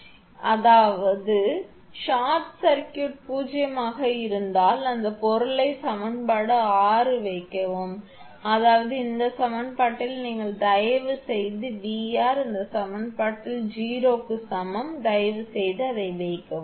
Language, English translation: Tamil, So, if it is short circuited zero that means, put that thing in equation six; that means, in this equation you please put V r is equal to 0 in this equation you please put it